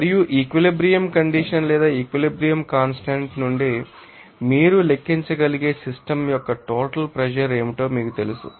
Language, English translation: Telugu, And you know that what will be that you know total pressure of the system from which you can calculate what from the equilibrium condition or equilibrium constant